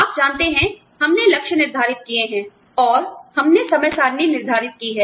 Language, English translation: Hindi, You know, we have set goals, and we have set timetables